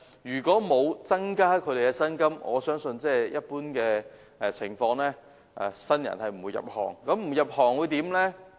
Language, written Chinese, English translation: Cantonese, 如果不增加小巴司機的薪金，我相信在一般情況下，不會有新人入行。, I believe that without an increase in the salaries of light bus drivers no new blood will join the trade under normal circumstances